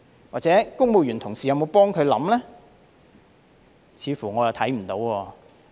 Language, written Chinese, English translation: Cantonese, 或者公務員同事有否助他考慮呢？, Or have colleagues from the civil service helped him to consider this issue?